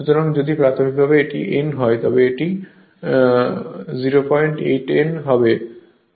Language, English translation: Bengali, So, if initially it was n, it will be it is it will be 0